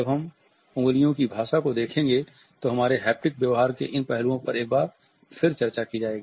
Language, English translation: Hindi, When we will look at the language of the fingertips then these aspects of our haptic behavior would be discussed once again